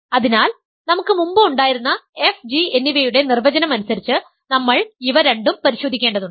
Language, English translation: Malayalam, So, we need to check these two, in terms of the definition of f and g that we had earlier